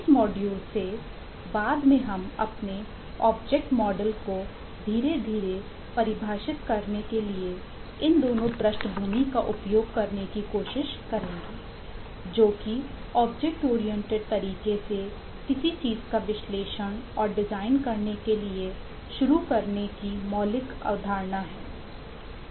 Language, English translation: Hindi, from this module onwards we would try to use both these backgrounds to slowly start eh defining our object models, which is the fundamental concept of staring to analyze and design something in a object oriented language